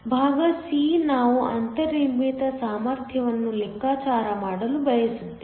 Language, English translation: Kannada, Part c, we want to calculate the built in potential